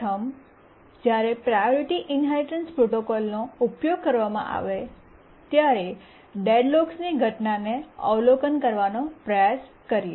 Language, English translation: Gujarati, First let's try to see how deadlocks occur when the priority inheritance protocol is used